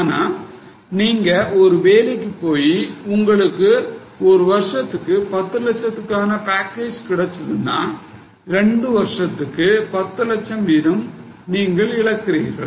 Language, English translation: Tamil, If you are doing a job and you are getting a package of say 10 lakhs, then two years 10 lakhs you are losing